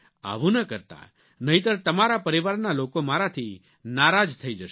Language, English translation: Gujarati, Please, do not do that, else your family members will be displeased with me